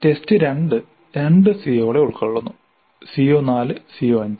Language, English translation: Malayalam, And test 2 covers 2 COs CO4 and CO5